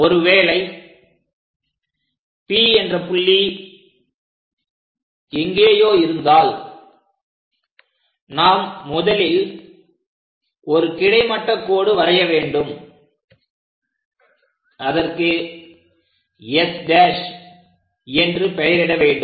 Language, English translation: Tamil, If some point P, somewhere here we would like to construct; first of all what we have to do is draw a horizontal line, this is the horizontal line, this is let us call S dash